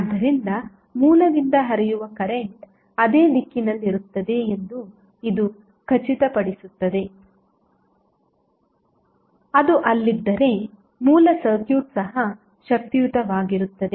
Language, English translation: Kannada, So, this will make sure that the current which is flowing from the source would be in the same direction as if it was there even the original circuit was energized